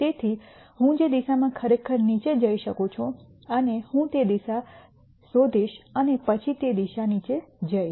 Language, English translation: Gujarati, So, the direction in which I can go down really fast and I will nd that direction and then go down the direction